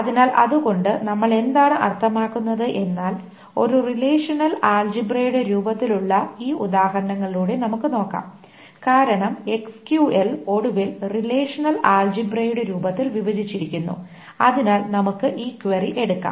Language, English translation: Malayalam, So what do we mean by that is that we will go over these examples in the form of a relational algebra because the SQL is finally broken down in the form of a relational algebra